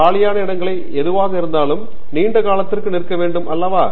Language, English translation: Tamil, Whether there are any empty seats or you have to stand for long time